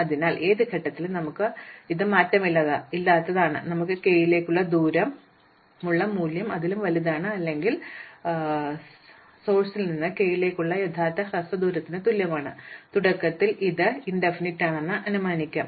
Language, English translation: Malayalam, So, at any point the invariant that we have is that the value that we have as distances to k is greater than or equal to the actual shortest distance from the source to k, initially we may assume it is infinity